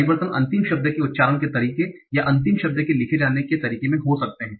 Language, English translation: Hindi, The changes can be in the way the final word is pronounced or in the way the final word is written